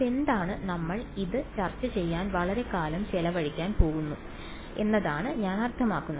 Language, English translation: Malayalam, What is so, I mean we have going to spent a long time discussing this